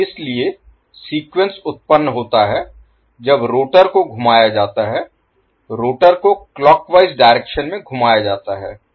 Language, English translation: Hindi, Now, so, sequence is produced when rotor is rotate in the rotor is rotating in the clockwise direction